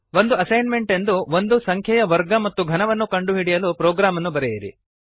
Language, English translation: Kannada, As an assignment, Write a program to find out the square and cube of a number